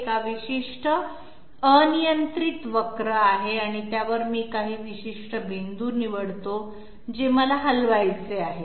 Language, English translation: Marathi, There is a particular arbitrary curve and on that I select certain points through which I am supposed to move